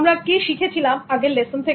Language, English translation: Bengali, What did we do in the last lesson